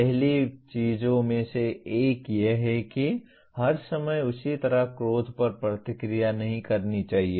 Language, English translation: Hindi, One of the first things is one should not react to anger in the same way all the time